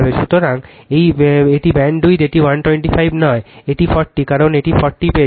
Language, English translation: Bengali, So, this is the bandwidth this is not 125, this is 40, because you got this is 40